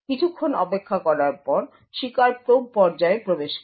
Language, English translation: Bengali, So, after waiting for some time the victim enters the probe phase